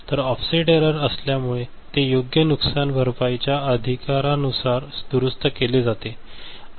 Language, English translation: Marathi, So, after offset error was there, so we have corrected by appropriate compensation right